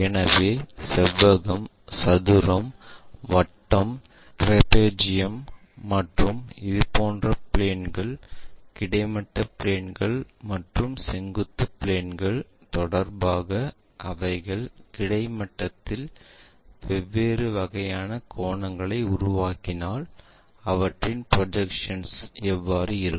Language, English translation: Tamil, So, such kind of objects for example, like rectangle, square, circle, trapezium and such kind of planes if they are making different kind of angles on horizontal with respect to the horizontal planes and vertical planes how do their projections really look like